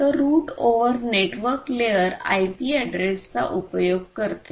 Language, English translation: Marathi, So, route over basically utilizes network layer IP address, ok